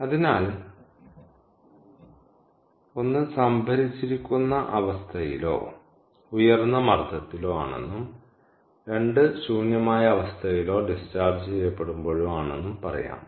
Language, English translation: Malayalam, all right, so let us say one is under stored condition or high pressure, and two is under emptied condition or discharged